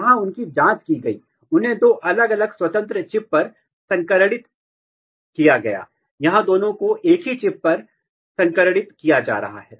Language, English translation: Hindi, Here they were probed, they were hybridized on two different independent chips, here both are being hybridized on the same chip